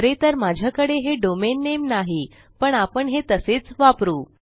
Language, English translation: Marathi, I dont actually have that domain name but well just keep it as that